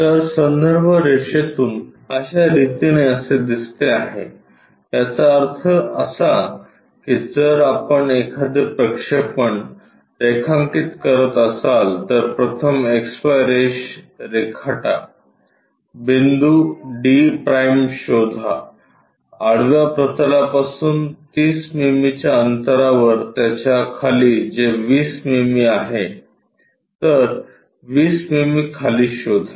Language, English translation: Marathi, So, from reference line this is the way it is supposed to look like; that means, if we are drawing a projection is supposed to be first draw XY line locate d’ below it at a distance of 30 mm at a distance of from horizontal plane it is 20 mm so, locate 20 mm down